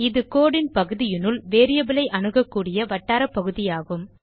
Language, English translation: Tamil, It is the region of code within which the variable can be accessed